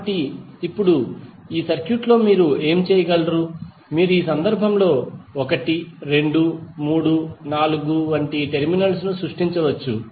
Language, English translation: Telugu, So now, in all these circuits, what you can do, you can create the terminals like 1, 2, 3, 4 in this case